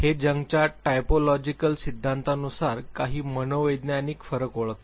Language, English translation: Marathi, It identifies certain psychological differences according to the typological theories of Jung